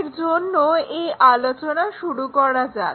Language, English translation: Bengali, For that let us begin this story